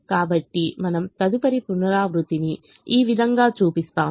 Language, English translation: Telugu, so we show the next iteration this way